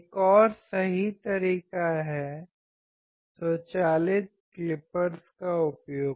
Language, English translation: Hindi, Another right method is the use of automatic clippers